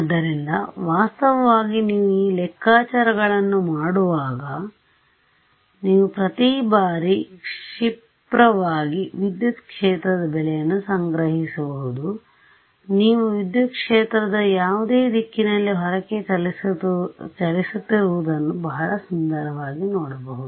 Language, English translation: Kannada, So, actually when you do these calculations you can store the field values at every time snap you can see very beautifully field is travelling outwards in whatever direction